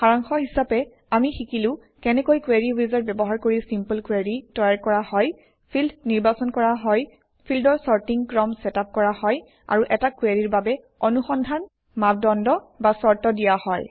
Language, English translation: Assamese, In this tutorial, we will learn how to create simple queries using the Query wizard Select fields Set the sorting order of the fields And provide search criteria or conditions for a query Let us first learn what a query is